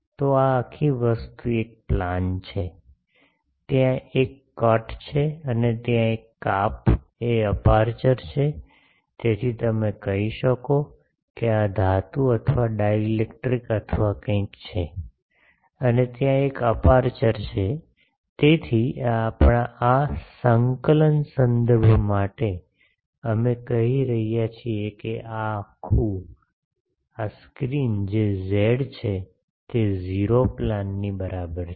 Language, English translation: Gujarati, So this whole thing is a plane, there is a cut and that cut is the aperture, so you can say that this is metal or dielectric or something and there is an aperture there so, this for our coordinate reference we are calling that this wholescreen that is z is equal to 0 plane